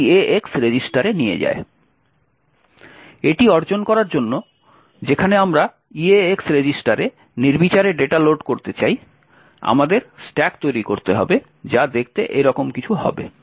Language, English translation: Bengali, In order to achieve this where we want to load arbitrary data into the eax register, we need to create our stacks which would look something like this way